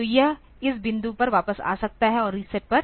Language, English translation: Hindi, So, it can come back to this point and on reset